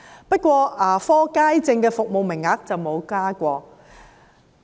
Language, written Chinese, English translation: Cantonese, 不過，牙科街症的服務名額則沒有增加。, However the service quota of general public sessions has seen no increase at all